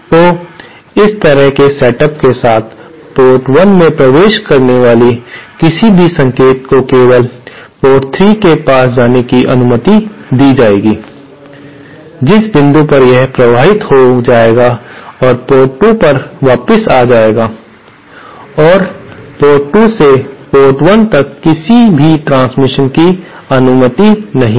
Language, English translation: Hindi, So, with such a setup, any signal entering port 1 will be allowed to pass port 3 only at which point it will get amplified and transmit back to port 2 and any transmission back from port 2 to port 1 is not allowed